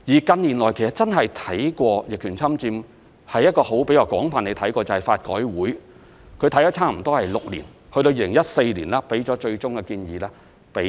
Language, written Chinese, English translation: Cantonese, 近年真的比較廣泛地審視逆權侵佔的是法改會，他們審視多年後，於2014年向政府提出最終建議。, In recent years it was LRC which had extensively reviewed the rule of adverse possession . After years of review it submitted its final recommendations to the Government in 2014